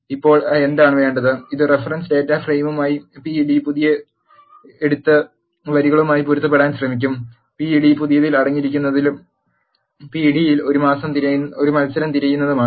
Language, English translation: Malayalam, Now, what is it take is it will take the pd new as the reference data frame and try to match the rows, which are present in the pd new and look for a match in the pd